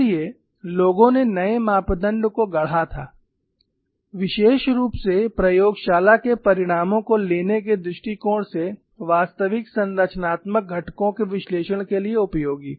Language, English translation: Hindi, So, people had coin new parameters, particularly from the point of view of particularly from the point of view of taking the laboratory results, useful for analyzing actual structural components